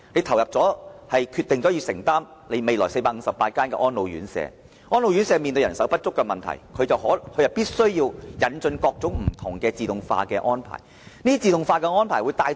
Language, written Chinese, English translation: Cantonese, 例如，政府決定投入資源興建458間安老院舍，而安老院舍面對人手不足的問題，定會引進各種自動化設施。, For instance when the Government decides to commit resources to the construction of 458 elderly homes given the shortage of manpower in elderly homes it will stimulate the introduction of various automatic facilities